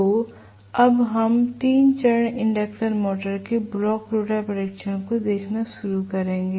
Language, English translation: Hindi, So, now we will start looking at the block rotor test of a 3 phase induction motor